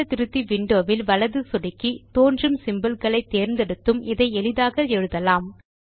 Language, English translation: Tamil, We can also write a formula by right clicking on the Formula Editor window and selecting symbols here